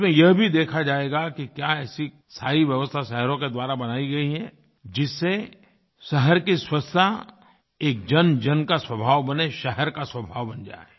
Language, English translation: Hindi, It will also be observed whether the cities have created a system wherein cleanliness of cities will became public habit, or the city's habit for that matter